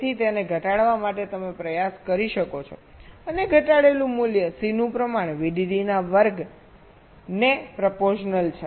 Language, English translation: Gujarati, so to reduce it you can try and reduce the value of c proportional to square of v